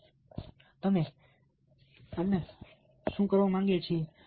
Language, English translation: Gujarati, so what do we want you to do